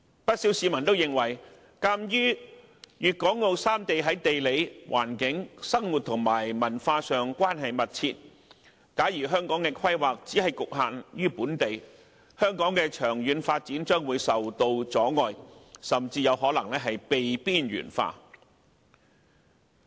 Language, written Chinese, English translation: Cantonese, 不少市民也認為，鑒於粵港澳三地於地理環境、生活和文化上關係密切，假如香港的規劃只局限於本地，香港的長遠發展將會受到阻礙，甚至有可能被邊緣化。, Many people are of the view that since the three places have very close ties in term of geographical locations lifestyle and culture Hong Kong will be hindered or even marginalized in its long - term development if it confines its planning to itself